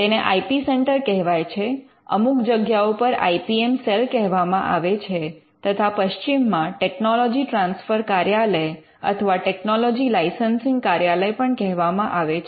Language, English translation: Gujarati, It is called the IP Centre, in some places it is called the IPM Cell, in the west it is called the Technology Transfer Office or the Technology Licensing Office